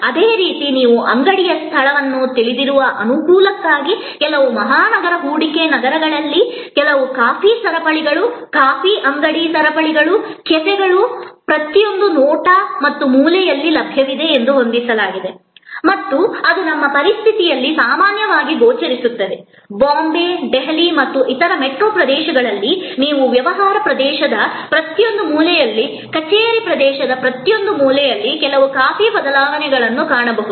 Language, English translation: Kannada, Similarly, convenience you know the store location for example, it is set that there are some coffee chains, coffee shop chains, cafes they are available at every look and corner in a large metropolis investment cities and that is happen it equally appearing in our situation in Bombay, Delhi and other metro areas you can find certain coffee changes at every corner in an office area every corner in business area